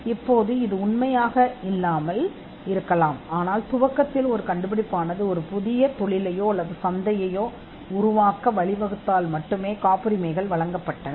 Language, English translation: Tamil, It may not be true now, but initially patents were granted if that invention would lead to the creation of a new industry or a market